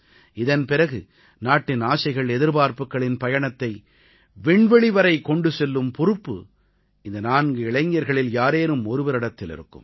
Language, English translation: Tamil, After that, the responsibility of carrying the hopes and aspirations of the nation and soaring into space, will rest on the shoulders of one of them